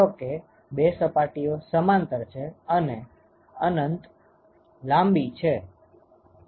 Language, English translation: Gujarati, Suppose the two surfaces are parallel and infinitely long ok